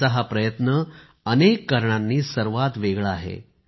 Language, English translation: Marathi, This effort of his is different for many reasons